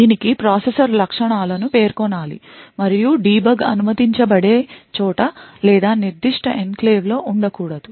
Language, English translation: Telugu, It needs to specify the processor features that is to be supported and also where debug is allowed or not within that particular enclave